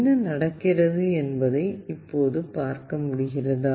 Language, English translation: Tamil, Now can you see what is happening